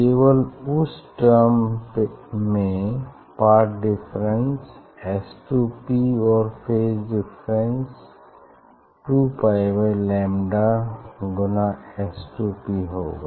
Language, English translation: Hindi, only in that term there will be path difference S 2 P and phase difference 2 pi by lambda S 2 P